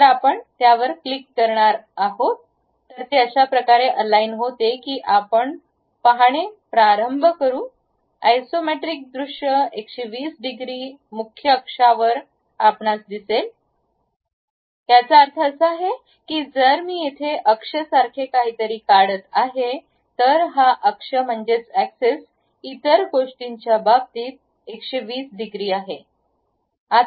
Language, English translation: Marathi, So, if you are going to click that it aligns in such a way that you start seeing or uh isometric view where 120 degrees on the principal axis you will see; that means, if I am going to draw something like axis here, one of the thing axis what it does is 120 degrees with respect to other things